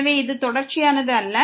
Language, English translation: Tamil, So, therefore, this is not continuous